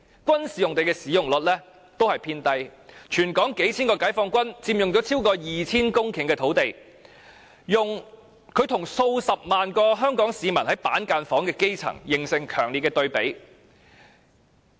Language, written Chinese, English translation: Cantonese, 軍事用地的使用率亦偏低，全港數千名解放軍，佔用超過 2,000 公頃土地，與數十萬名居於板間房的基層市民，形成強烈對比。, Several thousands soldiers of the Peoples Liberation Army PLA are occupying more than 2 000 hectares of land and this marks a sharp contrast to the several hundred thousand grass roots living in cubicle apartments